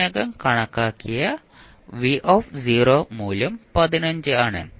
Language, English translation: Malayalam, V0 we have calculated already that is 15